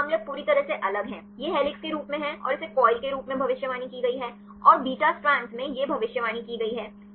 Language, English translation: Hindi, Some cases is totally different now this as helix and this predicted as coil and this predicted in the beta strand